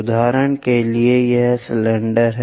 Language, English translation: Hindi, For example, this is the cylinder